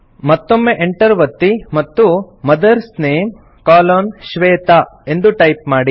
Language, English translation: Kannada, Again press the Enter key and type MOTHERS NAME colon SHWETA